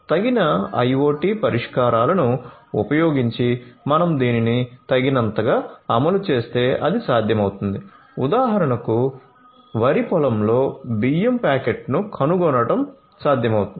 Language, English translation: Telugu, So, if you have this adequately implemented using suitable IoT solutions it would be possible for example, to trace a rice packet back to the paddy field that will be possible